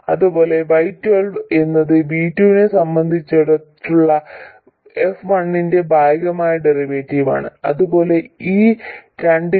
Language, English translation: Malayalam, And similarly, Y12 is partial derivative of f1 with respect to v2 and similarly for these two as well